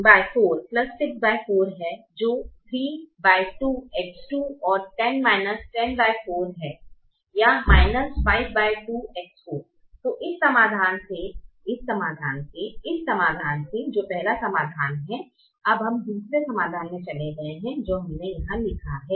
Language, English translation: Hindi, so from this solution, from this solution, from this solution the first solution we have now moved to another solution that we have written here